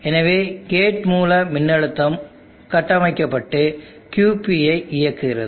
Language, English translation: Tamil, Therefore the gate source voltage builds up and turns on QP